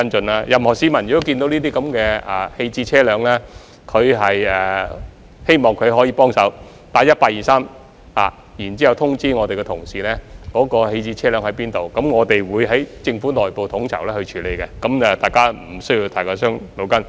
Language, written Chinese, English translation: Cantonese, 我希望任何市民如果看到棄置車輛，可以幫忙致電 1823， 通知我們的同事有關棄置車輛的位置，我們會在政府內部統籌處理，大家無需太過煩惱。, I hope that any person who discovers an abandoned vehicle can help by dialling 1823 and informing our colleagues about its location . We in the Government will coordinate our efforts to deal with the issue and people do not need to bother too much